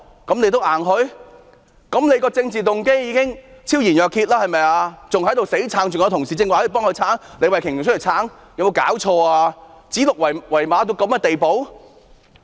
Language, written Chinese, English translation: Cantonese, 政府的政治動機已經昭然若揭，還在強詞奪理，李慧琼議員剛才還替局長辯護，有沒有搞錯，指鹿為馬到此地步？, With its political motive already laid bare the Government still argues by giving far - fetched reasons . Ms Starry LEE still defended the Secretary just now . What were they doing?